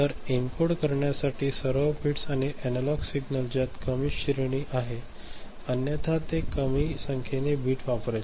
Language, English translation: Marathi, So, all the bits to encode and analog signal which is having a lower range right, otherwise it will use lesser number of bits ok